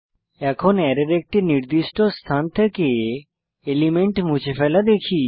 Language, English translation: Bengali, Now, let us see how to remove an element from a specified position of an Array